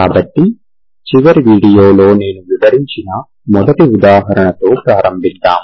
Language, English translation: Telugu, So to start with the 1st example which i explained in the last video